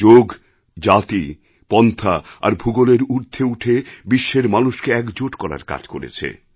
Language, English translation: Bengali, Yoga breaks all barriers of borders and unites people